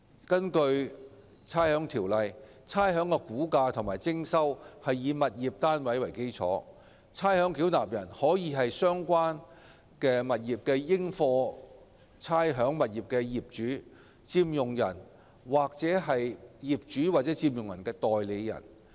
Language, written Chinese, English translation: Cantonese, 根據《差餉條例》，差餉的估價及徵收是以物業單位為基礎，而差餉繳納人可以是相關應課差餉物業的業主、佔用人或業主或佔用人的代理人。, Pursuant to the Rating Ordinance the valuation and collection of rates is based on tenements . A ratepayer can be the owner occupier or agent of the owner or occupier of the rateable property concerned